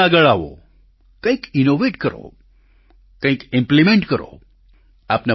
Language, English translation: Gujarati, Step forward innovate some; implement some